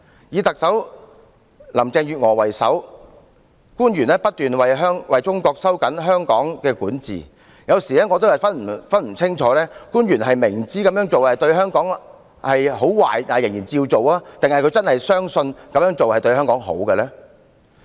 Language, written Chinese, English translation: Cantonese, 以特首林鄭月娥為首，官員不斷為中國收緊對香港的管治，有時我也無法辨清，官員是明知這樣做對香港會有很壞的影響但仍照做，還是真的相信這樣做對香港有利呢？, Led by Chief Executive Carrie LAM various officials keep tightening Chinas grip over Hong Kong . Sometimes I get confused whether those officials despite knowing very well that the measures have very negative impact on Hong Kong still implement them all the same or whether they truly believe those measures are in the interest of Hong Kong